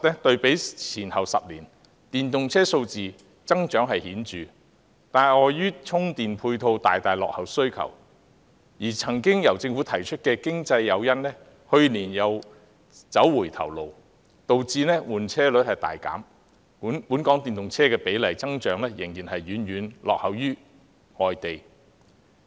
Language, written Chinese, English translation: Cantonese, 對比前10年，電動車數字增長確實顯著，但礙於充電配套大大落後於需求，而政府曾提出的經濟誘因去年又走回頭路，導致換車率大減，本港電動車的比例增長仍然遠遠落後於其他地方。, The number of electric vehicles has increased significantly when compared with the number of a decade ago . However as the availability of charging facilities lags far behind demand and the Government took a step backward last year in its financial incentives the replacement rate of vehicles has dropped significantly . The increase in the proportion of electric vehicles in Hong Kong still lags behind other places